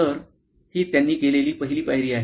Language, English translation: Marathi, So, this is the first step that they do